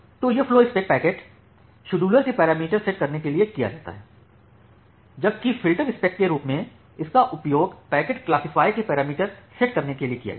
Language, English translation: Hindi, So, this flowspec it is used to set the parameters in the packet scheduler, while as the filterspec it is used to set the parameter in the packet classifier